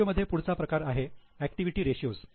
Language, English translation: Marathi, Now, the next type of ratios are known as activity ratios